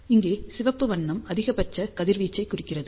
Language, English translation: Tamil, So, here color red implies maximum radiation